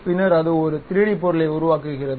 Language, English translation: Tamil, It creates that kind of 3D object